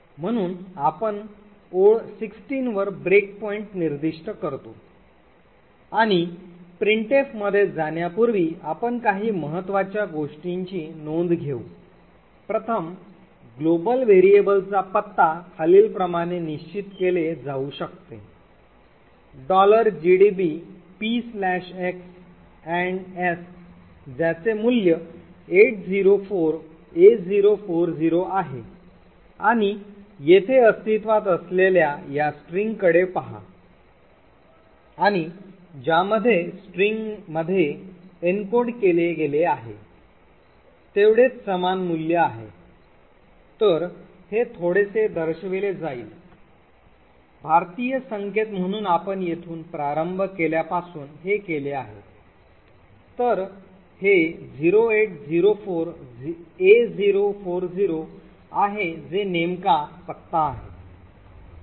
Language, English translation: Marathi, So let us run the program in gdb we specify a break point over so we specify break point at line 16 and before we actually enter into the printf we will take note of a few important things, first the address of the global variable s can be determined as follows p/x &s which has a value of 804a040 and look at this string present over here and what has been encoded in the string is exactly the same value of the s, so this is represented in little Indian notation therefore you did it from the from starting from here so it is 0804a040 which exactly is the address of s